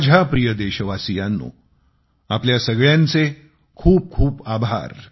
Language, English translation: Marathi, My dear countrymen, many thanks to you all